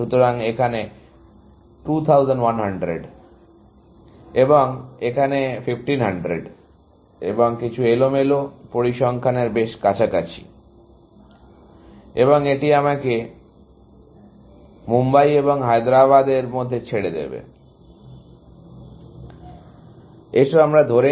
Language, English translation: Bengali, So, let us say, 2100 here, and 1500 here, and just some random, a close to random figures, and that leaves me with, between Mumbai and Hyderabad, let us say, that is 700